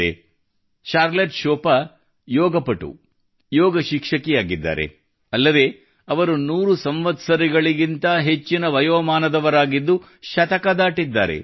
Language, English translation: Kannada, Charlotte Chopin is a Yoga Practitioner, Yoga Teacher, and she is more than a 100 years old